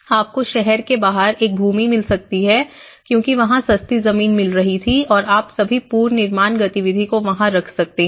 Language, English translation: Hindi, You might find a land outside of the city you might because it was coming for cheap and you might put all the reconstruction activity there